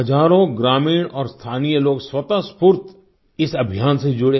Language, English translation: Hindi, Thousands of villagers and local people spontaneously volunteered to join this campaign